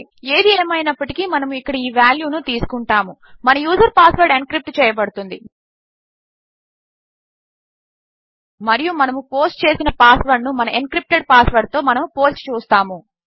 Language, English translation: Telugu, Anyway what well do is well be taking this value here our user password encrypted and well compare our posted password to our encrypted password